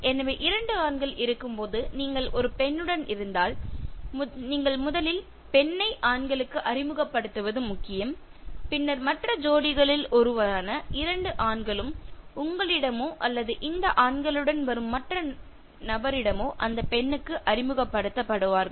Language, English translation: Tamil, So, if there are two men and you are with one woman and it is important that you introduce the woman first to the men and then the one of the other pair, the two men will be introduced to the lady either by you or by the other person accompanying this group of men